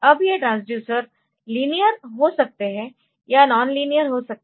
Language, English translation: Hindi, Now, this transducers may be linear or the transducers may be non linear